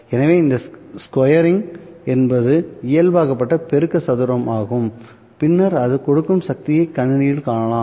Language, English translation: Tamil, So, this squaring is kind of a normalized amplitude square, which will then give you the power in the system